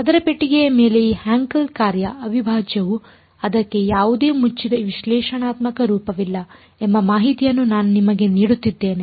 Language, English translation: Kannada, Now it turns out I am just giving you information that the integral of this Hankel function over a square box there is no closed analytical form for it